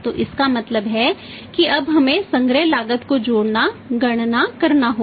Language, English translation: Hindi, So, it means now we will have to calculate add the collection cost